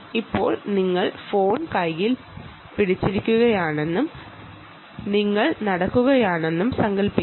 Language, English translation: Malayalam, now imagine that you are holding the phone in this, in your hand, and you are walking